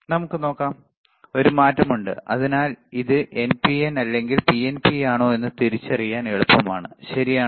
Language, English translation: Malayalam, Let us see, there is a change; So, easy to identify whether it is NPN or PNP, all right